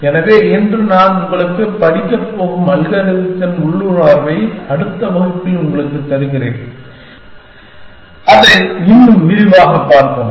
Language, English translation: Tamil, So, today I will just give you the intuition of the algorithm that we have going to study and in the next class, we will look at it in more detail